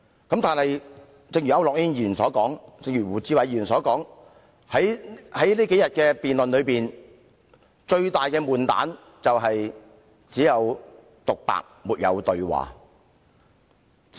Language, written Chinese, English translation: Cantonese, 正如區諾軒議員及胡志偉議員所說，這數天的辯論的悶局是只有獨白，沒有對話。, As depicted by Mr AU Nok - hin and Mr WU Chi - wai the debates held these few days were boring as there was only monologue but no dialogue